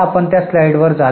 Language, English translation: Marathi, We'll just go to that slide